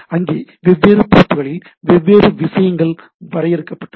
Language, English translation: Tamil, So, where the different things are defined at different port